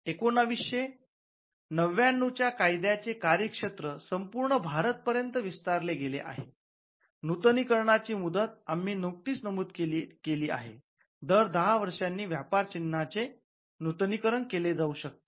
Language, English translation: Marathi, Now the jurisdiction of the 1999 act, it extends to the whole of India, the term of renewal as we just mentioned, if it is registered, it can be renewed every 10 years